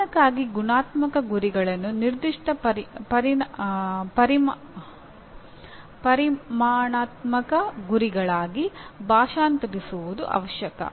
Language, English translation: Kannada, It is necessary to translate the qualitative goals for the device into specific quantitative goals